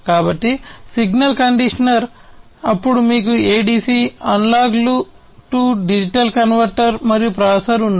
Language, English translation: Telugu, So, signal conditioner, then you have the ADC, the analog to digital converter and the processor